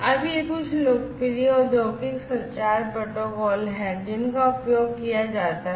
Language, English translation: Hindi, Now, these are some of these popular industrial communication protocols that are used